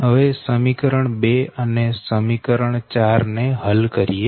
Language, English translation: Gujarati, that means you solve equation two and equation four, right